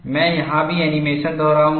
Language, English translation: Hindi, I would repeat the animation here also